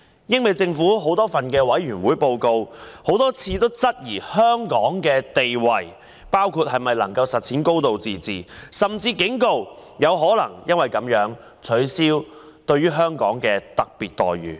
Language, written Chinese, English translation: Cantonese, 英美政府在多份委員會報告中多次質疑香港的地位，包括能否實踐高度自治，甚至警告有可能因而取消對香港的特別待遇。, Both the British and American Governments have repeatedly raised queries on the status of Hong Kong in a number of committee reports including the possibility of realizing a high degree of autonomy and there are even warnings of the possible removal of the special treatment enjoyed by Hong Kong